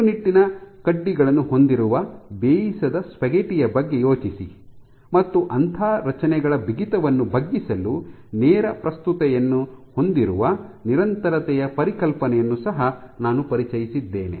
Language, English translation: Kannada, Think of this you know the spaghetti uncooked spaghetti forms all these rigid rods, and I introduced the concept of persistence which has direct relevance to bending rigidity of those structures